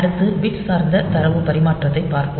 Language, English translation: Tamil, Next, we will look into bit oriented data transfer